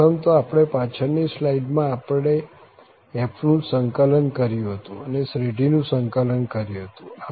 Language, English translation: Gujarati, So, at first, in the previous slide, we had just integrated f and we have integrated the series